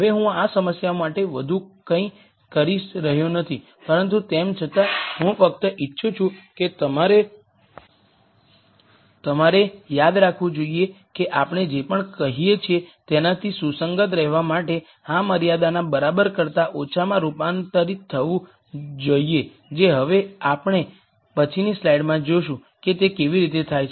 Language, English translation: Gujarati, Now I am not doing anything more to this problem, but nonetheless I just want you to remember that to be consistent with whatever we have been saying this should be converted to a less than equal to constraint which we will see how that happens in the next slide